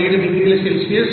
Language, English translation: Telugu, 5 degrees Celsius